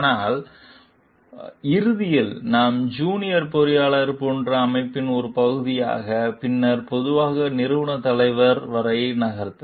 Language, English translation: Tamil, But, when at the end like we become a part of the organization as junior engineers and then maybe slowly move up the organizational leader